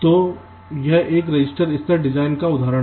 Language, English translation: Hindi, ok, so this is an example of a register level design